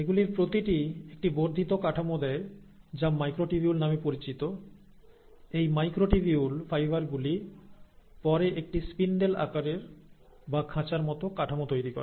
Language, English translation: Bengali, So each of these gives an extended structure which is called as the microtubules which then forms a spindle shaped, or a cage like structure of these microtubule fibres